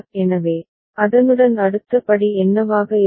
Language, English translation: Tamil, So, with that we go to what will be the next step